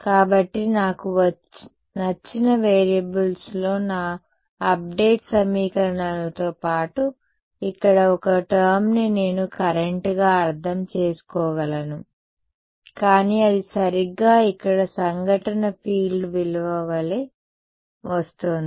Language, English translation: Telugu, So, I have my update equations in the variables of my choice plus one term over here which I can interpret as a current, but it is coming exactly as the value of incident field over here